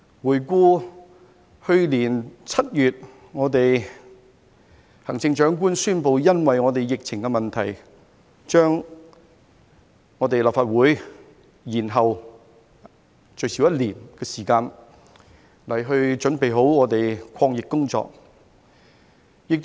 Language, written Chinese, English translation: Cantonese, 回顧去年7月，行政長官宣布因疫情問題，把立法會換屆選舉延後最少1年時間，以準備抗疫工作。, Back in July 2020 the Chief Executive announced that owing to the COVID - 19 epidemic situation the Legislative Council General Election would be postponed for a minimum of one year to prepare for the fight against the epidemic